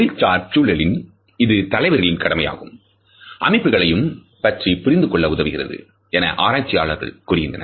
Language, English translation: Tamil, Researchers tell us that in professional settings it helps us to understand the associations as well as leadership roles